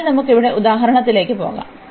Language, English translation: Malayalam, So, let us go to the example here